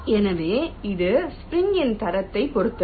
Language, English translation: Tamil, so this depends on the quality of the spring